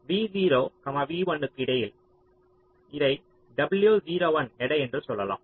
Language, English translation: Tamil, lets say, between v zero, v one, this is a weight w zero one